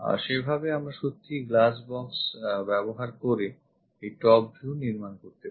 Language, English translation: Bengali, Now let us use glass box method to construct these views